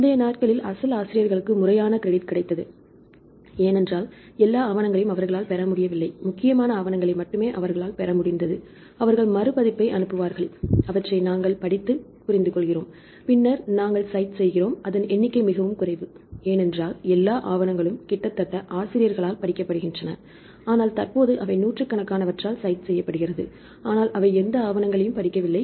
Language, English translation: Tamil, The earlier days the original authors got proper credit, because they do not get all the papers only the important papers we have to send a request and they will send the reprint, then we read, then we understand, then only we cite, number of citation is very less, because all of papers almost read by the authors, but currently they cite hundreds, but they do not read any of the papers